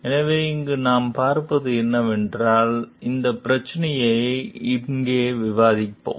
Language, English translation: Tamil, So, what we see over here is we will discuss issue over here